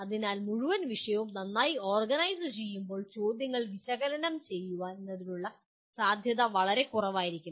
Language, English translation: Malayalam, So when the whole subject is very well organized the scope for analyze questions will be lot less